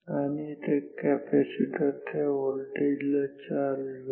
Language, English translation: Marathi, And, capacitor will be charged to that voltage